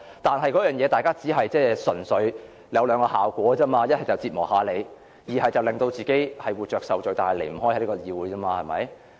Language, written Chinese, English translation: Cantonese, 但是，這只有兩種效果，一是折磨一下議員，二是令自己活着受罪但卻離不開議會。, That said only two effects will be produced one is to torment Members and the other is to make ourselves suffer and cannot leave the Chamber